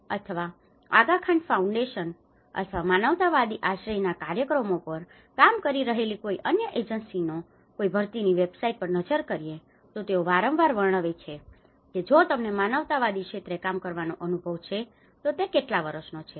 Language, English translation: Gujarati, If we ever look at any recruitment website of United Nations, UNDP or Aga Khan Foundation or any other agencies who are working on the humanitarian shelter programs, they often describe that if you have an experience working in the humanitarian sector, how many years